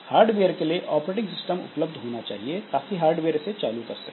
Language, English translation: Hindi, So operating system must be made available to hardware, so hardware can start it